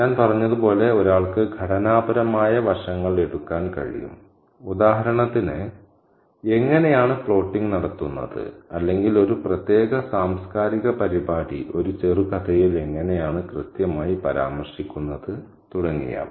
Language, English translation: Malayalam, And as I said, one can pick up on the structural aspects, say for example, how plot is done or how exactly a particular cultural event is referenced in a short story